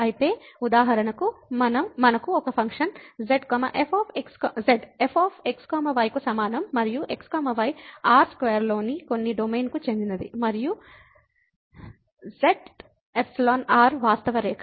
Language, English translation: Telugu, So, for example, we have a function z is equal to and belongs to some domain in square and belong to the real line